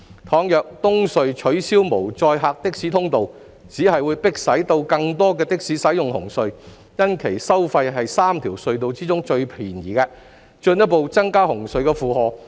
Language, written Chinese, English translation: Cantonese, 倘若東隧取消無載客的士通道，只會迫使更多的士使用紅隧，因其收費是3條隧道中最便宜的，進一步增加紅隧的負荷。, If the empty taxi lane is removed from EHC this will only drive more taxis to use CHT given its lowest toll among the three road harbour crossings and further add to the pressure on CHT